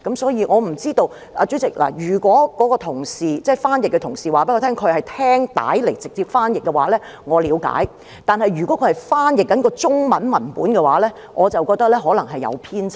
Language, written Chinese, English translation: Cantonese, 所以，主席，我不知道，如果該名翻譯同事告訴我他是聽錄音片段直接翻譯的話，我了解；但如果他是翻譯中文文本的話，我便覺得可能會出現偏差。, So President I am not sure . If the translator colleague tells me that he did a direct translation while listening to the audio clip I can relate to him but if he translated the Chinese text I think there might be discrepancies